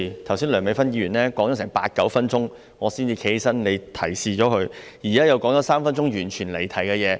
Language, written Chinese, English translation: Cantonese, 剛才梁美芬議員發言了八九分鐘，我才站起來，而你提示了她，現在她又說了三分鐘完全離題的事宜。, Just now it is only when I stood up after Dr Priscilla LEUNG has spoken for 8 or 9 minutes that you reminded her . And now she has strayed entirely from the subject for three minutes